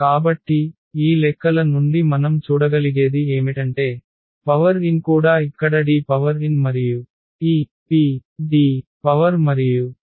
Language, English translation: Telugu, So, what is the point here that we can see out of these calculations that A power n will be also just D power n here and this PD power and P inverse